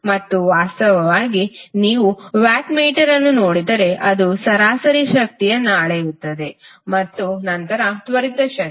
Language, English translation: Kannada, Wattmeter is using is measuring the average power then the instantaneous power